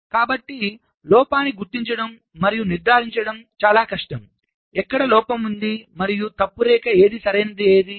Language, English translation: Telugu, so it is much more difficult to identify and diagnose the fault, where the fault is located and what is the fault line, right